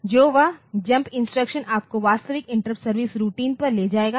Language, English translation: Hindi, So, that jump instruction will take you to the actual inter service routine